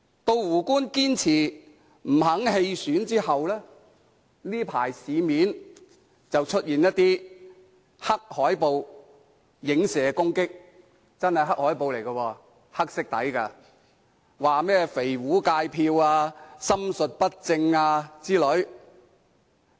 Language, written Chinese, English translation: Cantonese, 在"胡官"堅持不願意棄選後，這陣子市面便出現黑海報來影射攻擊，這些海報真的是黑海報，是以黑色為底色的，內容包括"肥胡界票"、"心術不正"等。, When Justice WOO insisted on not withdrawing from the election black posters have appeared to insinuate and attack him . These black posters have a black background and their contents include fat WOO snatching votes harbouring evil intentions etc